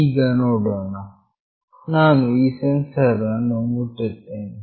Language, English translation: Kannada, Now let us see … I will touch this sensor